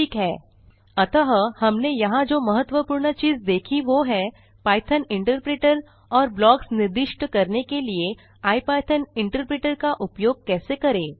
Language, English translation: Hindi, so the main thing we learnt here is how to use the Python interpreter and the IPython interpreter to specify blocks